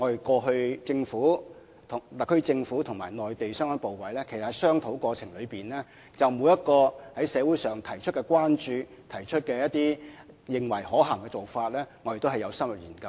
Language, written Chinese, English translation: Cantonese, 過去特區政府和內地相關部委在商討過程中，就社會上提出的關注或認為一些可行的做法也有深入研究。, During the discussions between the SAR Government and the relevant Mainland authorities the concerns raised in society or proposals considered to be viable have been studied in depth